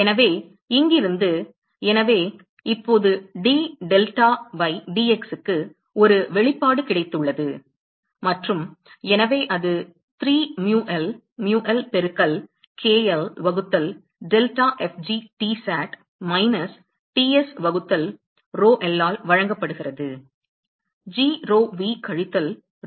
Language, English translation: Tamil, So, from here; so, now, I have got an expression for d delta by dx and so, that is given by 3 mu l mu l into k l divided by delta f g Tsat minus Ts divided by rho l; g rho v minus rho l